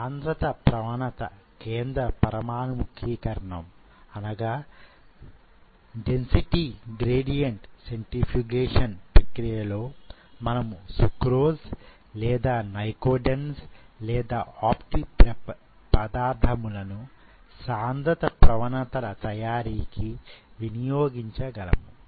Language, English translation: Telugu, And this density gradient centrifugation, this process using sucrose or nycodenz or optic prep as the material to make the density gradients